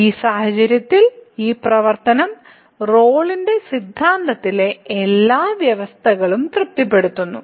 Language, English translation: Malayalam, So, in this case this function satisfies all the conditions of the Rolle’s theorem